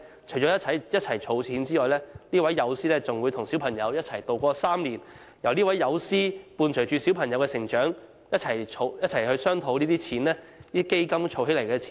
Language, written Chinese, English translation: Cantonese, 除了一同儲蓄外，這位友師還會與小朋友一起渡過3年，伴隨小朋友成長，一起商討如何好好運用基金儲蓄的金錢。, Apart from making target savings the mentor will also spend three years to accompany the child in his or her development and discuss with the child the way to spend the savings he or she has made